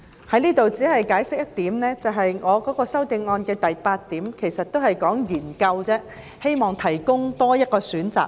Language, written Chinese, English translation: Cantonese, 在此只解釋一點，我的修正案的第八項說的是"研究"，務求為長者提供多一個選擇。, I will explain just one point here . In item 8 of my amendment I said that a study be conducted and the objective is to provide an additional choice for the elderly